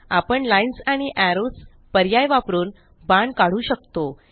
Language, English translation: Marathi, We can also draw arrows using the Lines and Arrows option